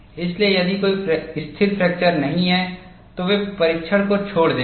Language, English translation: Hindi, So, if there is no stable fracture, they would discard the test